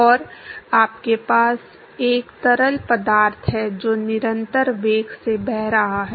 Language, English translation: Hindi, And you have a fluid which is flowing at a constant velocity